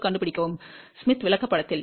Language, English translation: Tamil, 2 on the smith chart